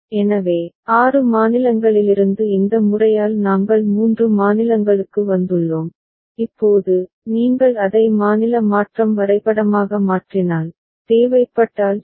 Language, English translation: Tamil, So, from six states we have come down to three states by this method and now, if you convert it to the state transition diagram if so required ok